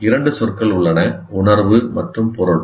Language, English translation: Tamil, There are two words, sense and meaning